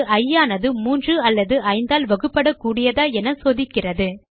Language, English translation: Tamil, This statement checks whether i is divisible by 3 or by 5